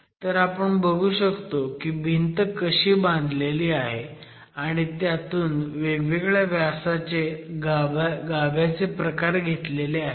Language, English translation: Marathi, So you can see how a wall has been constructed and from the wall several cores have been extracted of different diameters